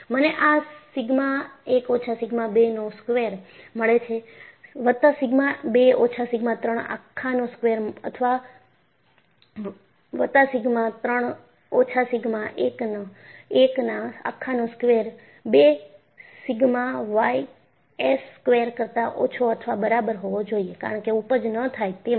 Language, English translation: Gujarati, So, I get this as sigma 1 minus sigma 2 whole square, plus sigma 2 minus sigma 3 whole square, plus sigma 3 minus sigma one whole square, should be less than or equal to 2 sigma y s squared, for yielding not to take place